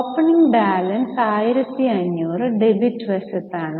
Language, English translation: Malayalam, So, opening balance 1,500 on this is a debit side